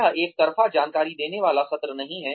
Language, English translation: Hindi, This is not, a one way information giving session